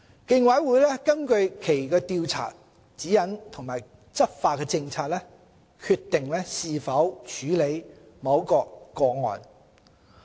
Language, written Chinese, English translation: Cantonese, 競委會根據其《調查指引》及《執法政策》，決定是否處理某個案。, The Commission will determine whether or not to pursue a case having regard to its Guideline on Investigations and Enforcement Policy